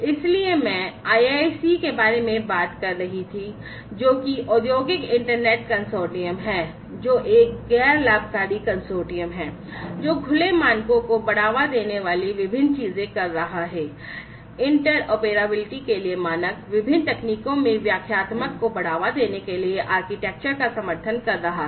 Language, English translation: Hindi, So, I was talking about the IIC, which is the Industrial Internet Consortium, which is a non profit consortium doing different things promoting open standards, standards for interoperability, supporting architectures of different, you know, architectures for promoting interpretability across different technologies, and so on